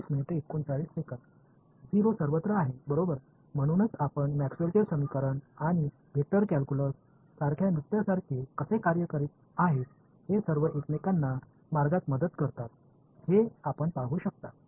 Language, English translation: Marathi, Is 0 everywhere right, so, you can see how Maxwell’s equations and vector calculus the sort of going like a like dance all most helping each other along the way